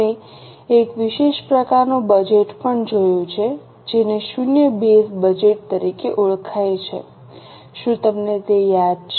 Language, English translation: Gujarati, We have also seen a specialized type of budget known as zero based budget